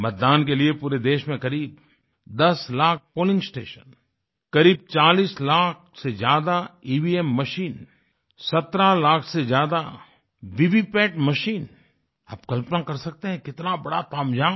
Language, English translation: Hindi, For the voting, there were around 10 lakh polling stations, more than 40 lakh EVM machines, over 17 lakh VVPAT machines… you can imagine the gargantuan task